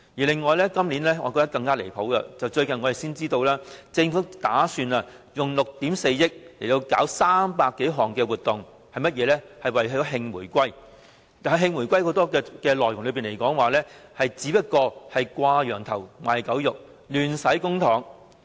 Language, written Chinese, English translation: Cantonese, 另外，今年令我更覺離譜的是，我們最近才得知政府打算花費6億 4,000 萬元，舉辦300多項所謂的"慶回歸"活動，當中不少只屬"掛羊頭賣狗肉"，亂花公帑。, Besides this year I notice one thing that is even more absurd . It has recently come to our attention that the Government plans to spend 640 million on holding some 300 reunification celebration activities . Many of these activities are not genuine celebration activities so they are a waste of public money